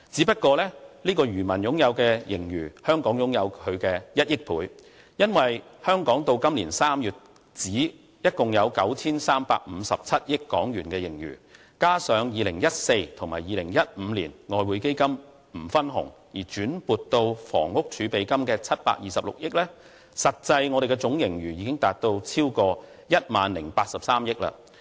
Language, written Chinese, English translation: Cantonese, 香港的盈餘是他的1億倍，因為香港至今年3月為止，共有 9,357 億港元盈餘，加上2014年及2015年外匯基金不分紅而轉撥到房屋儲備金的726億元，實際我們的總盈餘已達到超過 10,083 億元。, As of March this year Hong Kong has a total of 935.7 billion in surplus . Besides a total of 72.6 billion has been reserved in the Exchange Fund from the year 2014 and 2015 as provision for the Housing Reserve and not paid to the Government . The actual fiscal reserves total at 1,008.3 billion